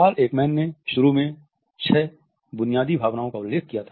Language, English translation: Hindi, Paul Ekman had initially referred to six basic emotions